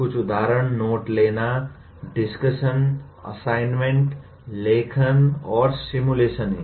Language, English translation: Hindi, A few examples are note taking, discussion, assignment, writing, and simulations